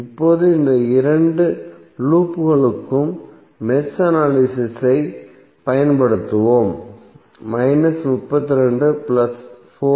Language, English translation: Tamil, Now let us apply the mesh analysis for these two loops